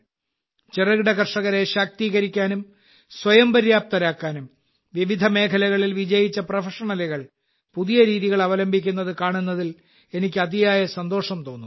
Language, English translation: Malayalam, I feel very happy to see that successful professionals in various fields are adopting novel methods to make small farmers empowered and selfreliant